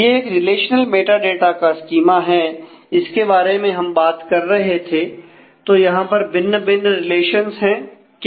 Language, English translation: Hindi, So, this is saying that the; this is the relational metadata schema which is talking about, what is the different relations